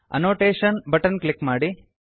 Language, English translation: Kannada, Click on the Annotation Button